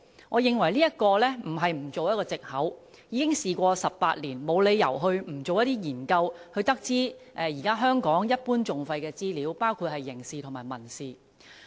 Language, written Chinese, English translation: Cantonese, 我認為這不能作為一個藉口，因為已經事過18年，當局沒理由不進行一些研究，從而得知香港現時一般訟費的資料，包括刑事和民事訴訟。, I think this cannot be used as an excuse . It has been 18 years since then so the authorities have no reason not to conduct some studies to find out information on the general litigation costs in Hong Kong including the litigation costs for criminal and civil proceedings